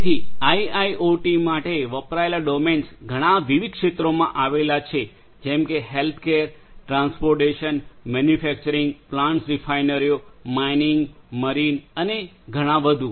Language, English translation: Gujarati, So, the domains of used for IIoT lies in many different areas such as healthcare, transportation, manufacturing, plants refineries, mining, marine and many; many more